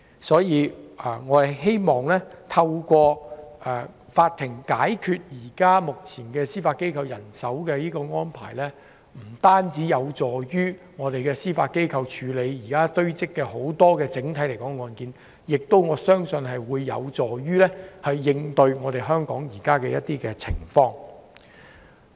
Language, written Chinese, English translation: Cantonese, 所以，我相信調整目前司法機構人手的安排，不單有助司法機構處理現時堆積的案件，亦有助應對香港目前的一些情況。, Therefore I believe adjusting the existing staffing arrangement of the Judiciary will not only help to clear the case backlog of the Judiciary but also respond to the present situation in Hong Kong